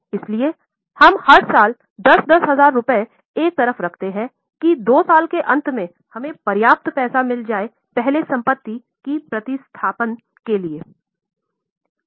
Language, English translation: Hindi, So, what we do is every year, let us say we keep aside 10,000, 10,000, so that at the end of two years we have got enough money for replacement of earlier assets